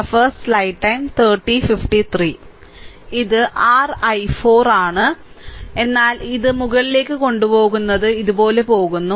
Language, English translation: Malayalam, So, this is your i 4, but this I is taken upward it going like these